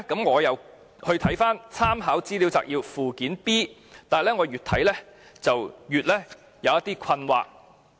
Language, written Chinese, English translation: Cantonese, 我再看看立法會參考資料摘要的附件 B， 但越來越感到困惑。, I then looked at Annex B of the Legislative Council Brief which made me even more confused